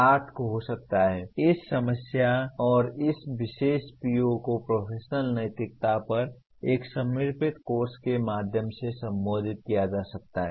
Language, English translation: Hindi, PO8 can be, this particular PO can be addressed through a dedicated course on professional ethics